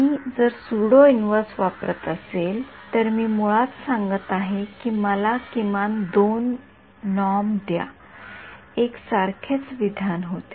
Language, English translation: Marathi, So, I can if I use the pseudo inverse I am basically saying give me the minimum 2 norm solutions, where one and the same statement